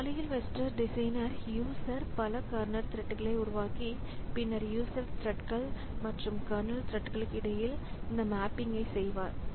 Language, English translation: Tamil, So, that way the user, the OS designer will create a number of kernel threads and then do this mapping between the user threads and kernel threads